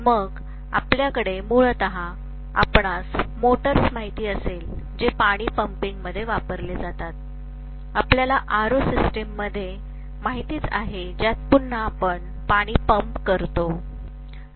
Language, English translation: Marathi, Then we have basically you know the motors which are used in pumping water, you have you know in RO system, again you pump water